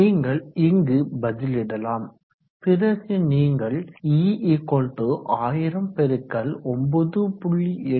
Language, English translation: Tamil, So you can substitute it here and then you can write it as E=1000*9